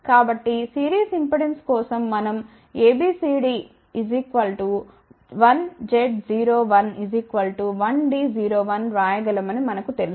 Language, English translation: Telugu, So, we know that for a series impedance we can write A B C D parameters as 1 Z 0 1